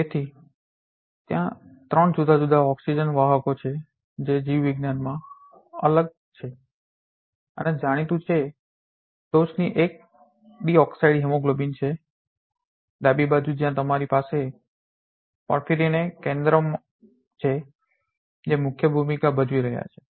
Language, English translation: Gujarati, So, there are three different oxygen carriers which are distinct and known in biology the top one is deoxy hemoglobin on the left hand side where you have a porphyrin centers which is playing the key role